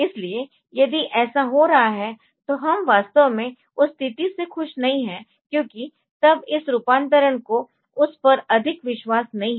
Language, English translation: Hindi, So, that if that is that is happening so, we are not really happy with that situation because then this conversion does not have much belief in that